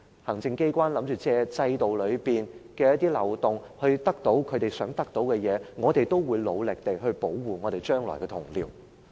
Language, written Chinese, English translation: Cantonese, 行政機關打算借制度的一些漏洞來得到想得到的東西，我們要努力保護將來的同僚。, If the Executive Authorities try to take advantage of certain loopholes in the system to get what they want we will strive to protect our Honourable colleagues in the future